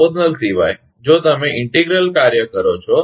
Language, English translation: Gujarati, Except proportional, if you, integral action is there